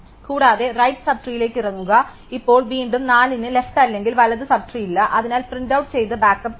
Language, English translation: Malayalam, And go down to the right sub tree and now again because 4 has no left or right sub tree, so will print out and go backup